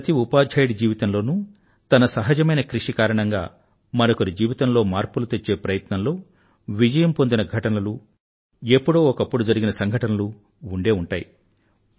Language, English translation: Telugu, In the life of every teacher, there are incidents of simple efforts that succeeded in bringing about a transformation in somebody's life